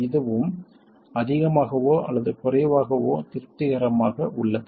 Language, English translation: Tamil, It turns out this is also more or less satisfied